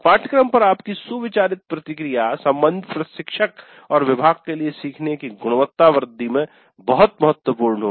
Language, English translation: Hindi, Your considered feedback on the course will be of great value to the concerned instructor and the department in enhancing the quality of learning